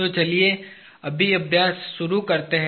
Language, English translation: Hindi, So, let us just start the exercise